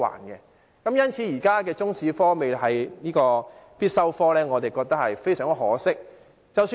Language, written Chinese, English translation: Cantonese, 因此，對於現時中史科並非必修科，我們覺得非常可惜。, Hence it is regrettable that Chinese History is presently not a compulsory subject